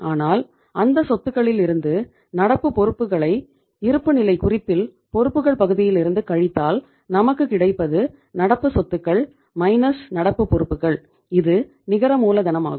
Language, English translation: Tamil, But out of those assets if you subtract the current liabilities from the liability side of the balance sheet then what is the difference that is current assets minus current liabilities that is called as the net working capital